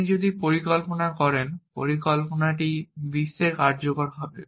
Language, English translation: Bengali, If you make a plan, the plan will execute in the world